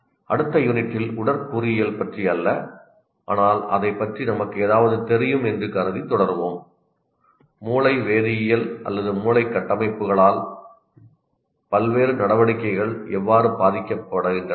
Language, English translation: Tamil, And in the next unit will continue the not about the anatomy, but assuming that we know something about it, how different activities kind of are influenced by the brain chemistry or brain structures